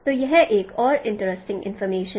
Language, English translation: Hindi, So that is another interesting information